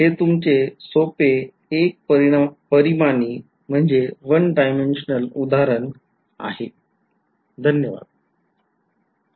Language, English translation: Marathi, So, this is your very simple 1 D example right